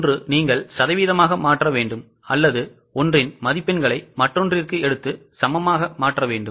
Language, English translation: Tamil, Either you have to convert it into percentage or convert one marks into another with equal weightage